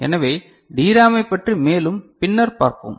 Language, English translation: Tamil, So, more of DRAM we shall see later